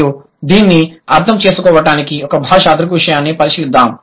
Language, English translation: Telugu, So, what he does, he considers one linguistic phenomenon